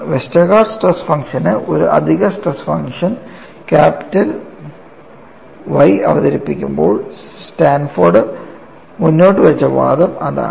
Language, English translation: Malayalam, So, this is most general that is the kind of argument that which Sanford put forth, while introducing an additional stress function capital Y to the Westergaard stress function